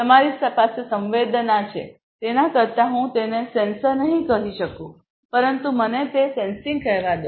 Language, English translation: Gujarati, You have sensing, rather let me call it not sensor, but let me call it sensing